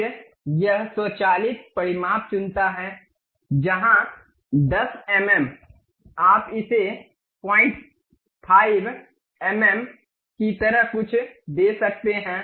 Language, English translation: Hindi, Then it picks automatic dimensions where 10 mm you can really give it something like 0